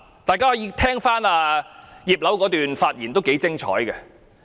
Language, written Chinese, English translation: Cantonese, 大家可以聽聽葉劉淑儀議員的發言，相當精彩。, Members can listen to Mrs Regina IPs speech as it is excellent